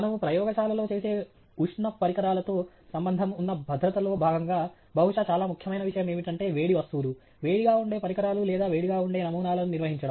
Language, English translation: Telugu, As part of safety associated with thermal things that we do in a lab, perhaps the most important thing is handling hot items, equipment that may be hot or samples that may be hot